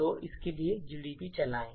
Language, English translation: Hindi, So, let’s run gdb for this